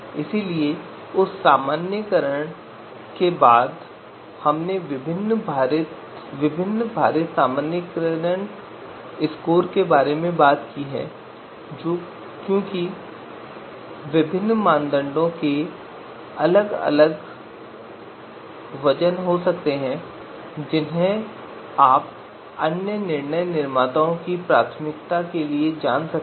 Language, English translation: Hindi, So after that normalization we we talked about the weighted normalization scores because different criterias criteria might have different you know weights you know given the preferences of decision makers